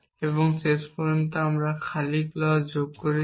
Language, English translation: Bengali, How do you get the empty clause